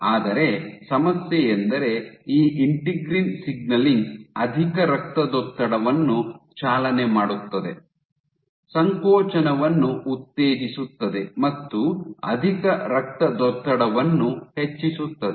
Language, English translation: Kannada, But the problem is this integrin signaling is in turn driving hypertension, promoting contractility and drive hypertension